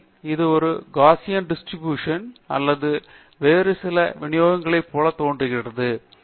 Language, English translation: Tamil, Does it look like a Gaussian distribution or some other distribution